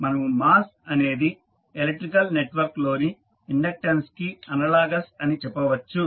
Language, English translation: Telugu, Now, we can also say that mass is analogous to inductance of electric network